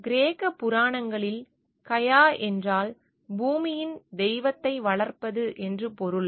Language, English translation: Tamil, In Greek mythology Gaia means nurturing the goddess earth